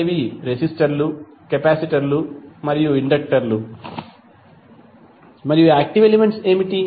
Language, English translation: Telugu, These are resistors, capacitors and inductors and what are the active elements